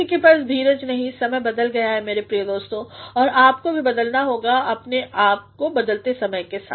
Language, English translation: Hindi, No one has got the patience times have changed my dear friends and you must also change yourself with the changing times